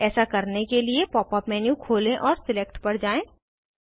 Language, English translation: Hindi, To do this, open the Pop up menu and go to Select